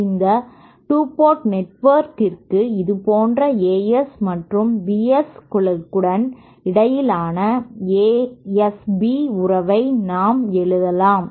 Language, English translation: Tamil, For this 2 port network we can write down the S B relationship between the As and Bs like this